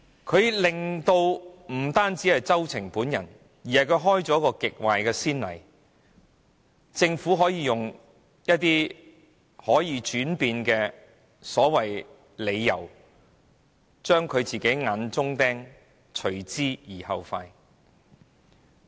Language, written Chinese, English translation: Cantonese, 政府不單令周庭喪失參選資格，也開了極壞的先例，令政府可使用可以轉變的理由，務求將政府的眼中釘除之而後快。, The Government has not only disqualified Agnes CHOW from running in the By - election but has also set a very bad precedent of making up all sorts of excuses to seek satisfaction by removing a thorn in its flesh